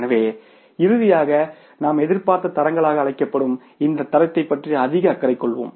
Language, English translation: Tamil, So, finally we will be more concerned about this standard which is called as the expected standards